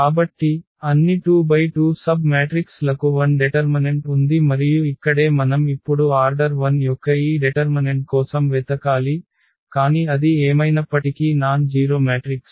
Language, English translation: Telugu, So, all 2 by 2 submatrices have 0 determinant and that is the reason here we now have to look for this determinant of order 1, but that is a nonzero matrix anyway